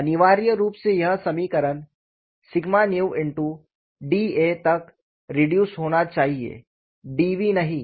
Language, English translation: Hindi, So, essentially this equation should reduce to sigma v into d A not d v